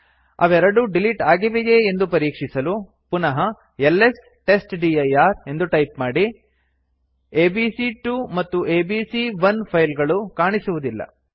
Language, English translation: Kannada, To see that they have been removed type ls testdir again.You can no longer see abc1 and abc2